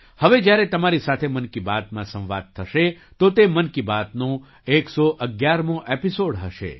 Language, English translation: Gujarati, Next when we will interact with you in 'Mann Ki Baat', it will be the 111th episode of 'Mann Ki Baat'